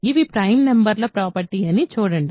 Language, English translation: Telugu, See this is a property of prime numbers